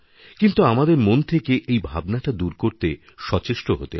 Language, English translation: Bengali, But we have to make efforts to cleanse it out of our minds